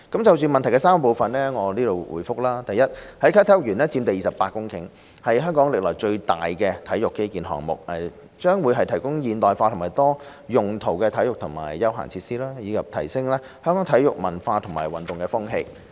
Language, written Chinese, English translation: Cantonese, 就質詢的3個部分，我現答覆如下：一啟德體育園佔地約28公頃，是香港歷來最大型的體育基建項目，將會提供現代化和多用途的體育和休閒設施，以提升香港的體育文化和運動風氣。, My reply to the three parts of the question is as follows 1 The Kai Tak Sports Park will occupy about 28 hectares of land . It will be the largest piece of sports infrastructure in Hong Kong providing modern and multi - purpose facilities for sports and recreation with a view to enhancing the sports culture in Hong Kong